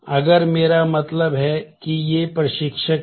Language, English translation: Hindi, If this is I mean these are the instructors